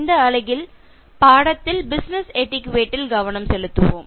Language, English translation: Tamil, In this unit and in this lesson, let us focus on Business Etiquette